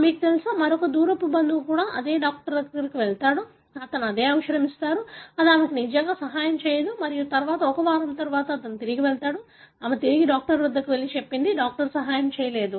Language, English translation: Telugu, You know, another distant relative also goes to the same doctor, he gives the same medicine, it does not really help her and then after one week he goes back, she goes back to the doctor and says, doctor it did not help